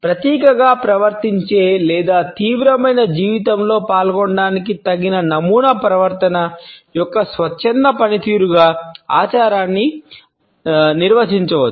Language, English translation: Telugu, Ritual can be defined as a voluntary performance of appropriately patterned behaviour to symbolically effect or participate in the serious life